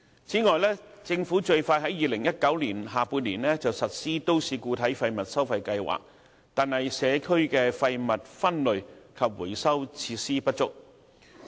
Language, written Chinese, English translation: Cantonese, 此外，政府最快於2019年下半年實施都市固體廢物收費計劃，但社區的廢物分類及回收設施不足。, Besides while the Government will implement the municipal solid waste MSW charging scheme in the second half of 2019 at the earliest there are not enough waste separation and recycling facilities in the community